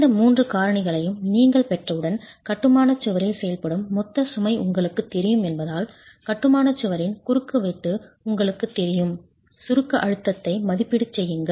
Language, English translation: Tamil, Once you have these three factors, make an estimate of the compressive stress in masonry because you know the total load acting on the masonry wall, you know the cross section of the masonry wall, make an estimate of the compressive stress